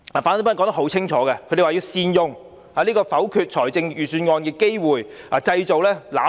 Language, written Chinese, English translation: Cantonese, 反對派清楚指出，要善用否決預算案的機會，製造"攬炒"。, The opposition has made it clear that it will make good use of this opportunity to negative the Budget so as to achieve mutual destruction